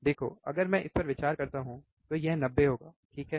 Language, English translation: Hindi, See if I consider this one this will be 90, right